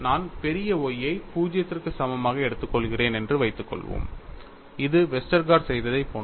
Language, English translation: Tamil, Suppose I take capital Y equal to 0 which is very similar to what Westergaard did